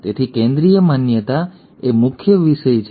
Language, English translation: Gujarati, So, Central dogma is the main thematic